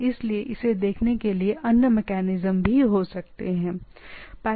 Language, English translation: Hindi, So, there can be other mechanism to look at it, but it there this is possibilities are there